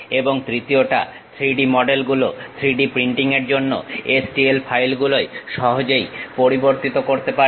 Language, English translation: Bengali, And the third one, the 3D models can readily converted into STL files for 3D printing